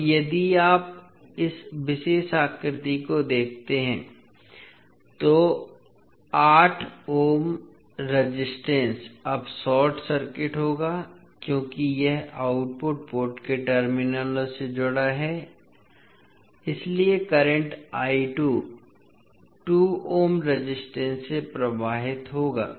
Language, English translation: Hindi, Now, if you see this particular figure, the 8 ohm resistor will be now short circuited because it is connect across the terminals of the output port so the current I 2 will be flowing through 2 ohm resistance